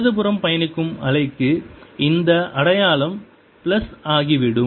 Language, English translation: Tamil, for the wave which is traveling to the left, this sign will become plus